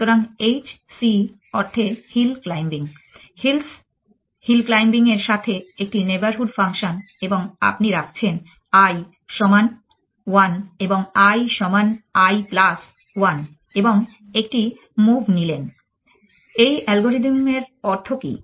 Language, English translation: Bengali, So, H c stands for hill claiming hills hill claiming with a neighborhood function and you put i is equal to 1 and in a put i is equal to i plus 1 and put it into a move, what is the meaning of this algorithm